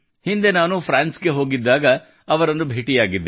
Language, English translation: Kannada, Recently, when I had gone to France, I had met her